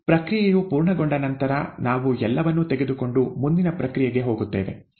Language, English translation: Kannada, After the process is complete, we take everything and and go for further processing